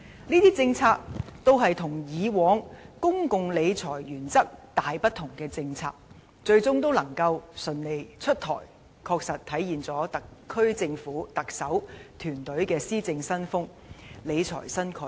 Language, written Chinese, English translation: Cantonese, 這些與以往公共理財原則大不同的政策，最終能夠順利出台，確實體現了特區政府、特首及其團隊的施政新風及理財新概念。, The introduction of these policies which have fundamentally deviated from the former principles of public financial management well demonstrates a new style of governance and a new financial management concept of the SAR Government the Chief Executive and her team